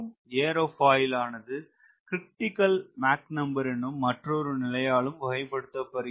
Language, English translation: Tamil, so aerofoils are characterized by another term called critical mach number